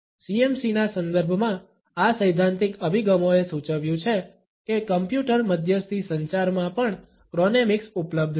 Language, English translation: Gujarati, These theoretical approaches in the context of CMC have suggested that chronemics is available even in computer mediated communication